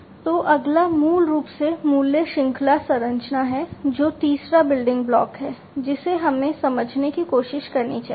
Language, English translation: Hindi, So, next one is basically the value chain structure that is the third building block that we should try to understand